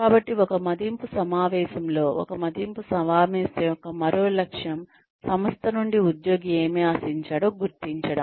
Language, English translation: Telugu, So, in an appraisal meeting, one more goal of an appraisal meeting, is to identify, what the employee expects of the organization